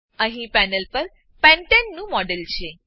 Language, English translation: Gujarati, Here is a model of pentane on the panel